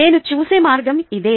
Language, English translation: Telugu, this is the way i look at it